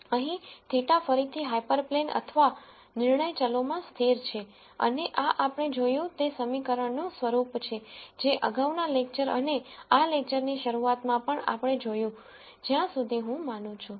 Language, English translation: Gujarati, Here theta again speaks to the constants in the hyperplane or the decision variables and this is the form of the equation that we saw in the previous lecture and in the beginning of this lecture also I believe